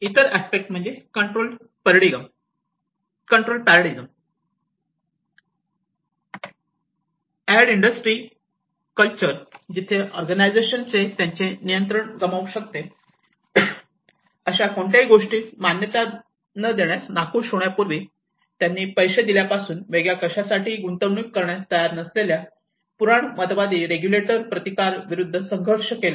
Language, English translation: Marathi, Another aspect is a control paradigm, The aid industry culture where organizations struggle against the resistance of conservative supporters unwilling to invest in anything different from what they have funded before where regulators are reluctant to approve anything they may lose control over